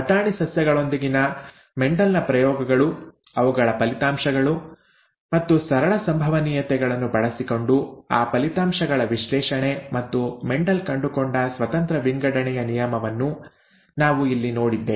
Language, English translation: Kannada, Here we saw Mendel’s experiments with pea plants, their results and analysis of those results using simple probabilities and the law of independent assortment that Mendel found